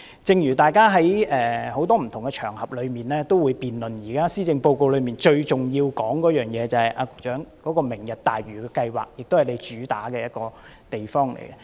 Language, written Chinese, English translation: Cantonese, 局長，大家在很多不同場合上，都會辯論現時施政報告中最重要的一個項目即"明日大嶼"計劃，也就是你的一項主要工作。, Secretary on various occasions there have been debates about the most important item in this Policy Address Lantau Tomorrow Vision and it is one of your key tasks